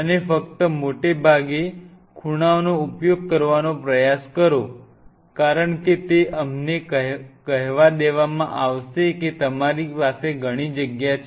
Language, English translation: Gujarati, And try to use only mostly the corners, because that will be a let us say will lot of your space